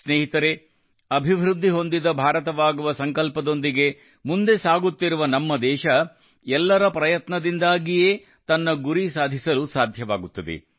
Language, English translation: Kannada, Friends, our country, which is moving with the resolve of a developed India, can achieve its goals only with the efforts of everyone